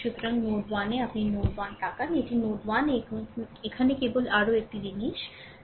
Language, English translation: Bengali, So, at node 1, if you look at node 1, this is at node 1 ah just just ah your further this thing